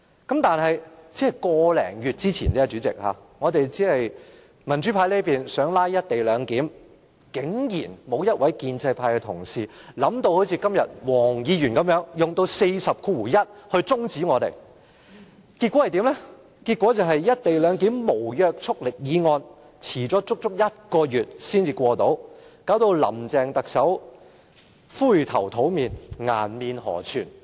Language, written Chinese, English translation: Cantonese, 個多月前，民主派議員就"一地兩檢"議案"拉布"，竟然沒有一位建制派同事想到好像今天黃國健議員般，引用《議事規則》第401條中止辯論，結果"一地兩檢"這項無約束力的議案遲了足足一個月才能通過，令林鄭特首灰頭土臉，顏面無存。, More than a month ago democratic Members filibustered in respect of the motion on the co - location arrangement but no one from the pro - establishment camp thought of invoking Rule 401 of the Rules of Procedure RoP to adjourn the debate as what Mr WONG Kwok - kin did today . In the end the passing of the non - binding motion on the co - location arrangement had been delayed for a whole month causing great embarrassment to Chief Executive Carrie LAM and she was thoroughly discredited